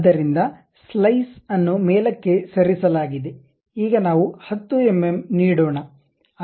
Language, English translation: Kannada, So, now the slice has been moved up now let us give 10 mm